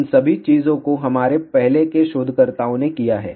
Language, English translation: Hindi, All those things have been done by our earlier researchers